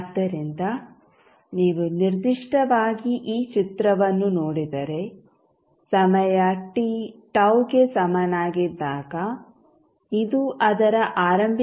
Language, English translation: Kannada, So, if you see particularly this figure you will see that at time t is equal to tau this will become 36